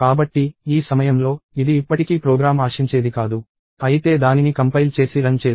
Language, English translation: Telugu, So, at this point, it is still not what the program expects; but let us try and compile it and run it